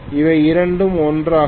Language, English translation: Tamil, Both of them are 1